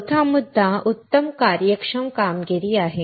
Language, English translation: Marathi, The fourth point is better functional performance